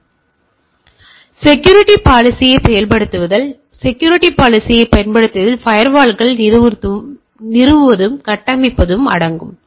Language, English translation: Tamil, So, implementation of security policy; so implementing a security policy include installing and configuring firewalls